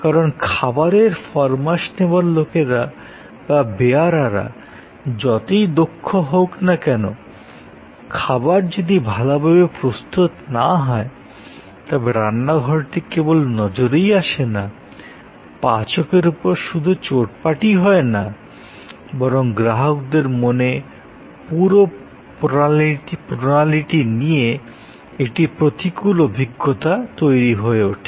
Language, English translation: Bengali, Because, however efficient the servers may be or the stewards may be, if the food is not well prepared, then not only the kitchen comes into play, not only the chef is then on the mate, the whole system is then creating an adverse experience in the customers perception in his or her mind